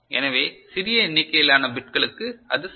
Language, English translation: Tamil, So, for smaller number of bits it is fine ok